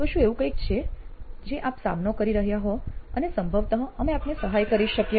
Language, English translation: Gujarati, So, is there something that you are facing that we can probably help you with